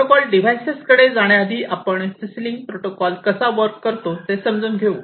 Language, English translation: Marathi, So, before we go to this protocol device net we will go through overall how this CC link protocol works